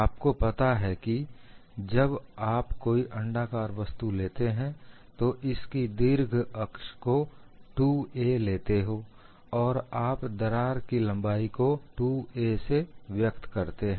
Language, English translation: Hindi, You know when you take an ellipse you take the major axis as 2 a, and you also label the crack length as 2 b